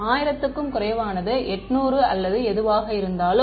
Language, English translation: Tamil, Less than a 1000 right, 800 or whatever